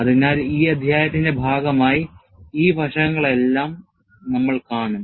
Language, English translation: Malayalam, So, we will see all these aspects, as part of this chapter